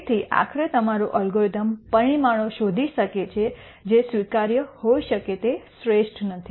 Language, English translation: Gujarati, So, ultimately your algorithm might nd parameters which while may be acceptable are not the best